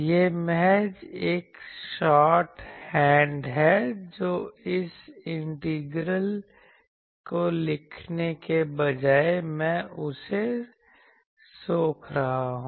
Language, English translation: Hindi, This is just a shorthand that instead of writing that integral I am absorbing that integral